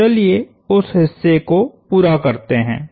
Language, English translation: Hindi, So, let us complete that part